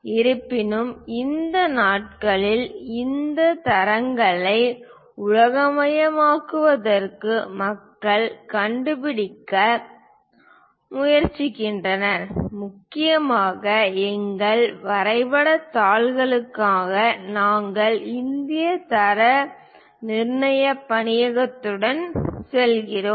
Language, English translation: Tamil, Each of these organizations follows different kind of standard, but these days people are trying to locate for universalization of these standards and mainly for our drawing sheets we go with Bureau of Indian Standards that is this